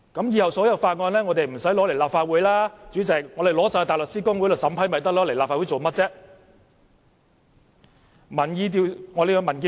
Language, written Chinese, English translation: Cantonese, 以後所有法案都無須提交立法會，直接送交大律師公會審批便可以，為何要提交立法會？, If so bills need not be introduced into the Legislative Council in future as they should directly be sent to the Bar Association for examination and approval . Why should bills be introduced into the Legislative Council?